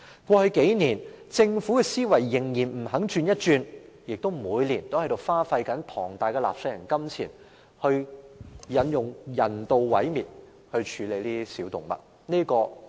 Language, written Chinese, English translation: Cantonese, 過去數年，政府仍然不肯轉換思維，每年花費大量納稅人金錢，用人道毀滅的方式來處理小動物。, Over the past few years the Government has still refused to change its mindset and spent a lot of taxpayers money on euthanizing small animals each year